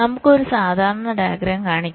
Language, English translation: Malayalam, so let us show a typical diagram